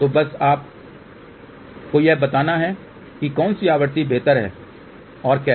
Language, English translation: Hindi, So, just to tell you now up to what frequency which one is preferable and how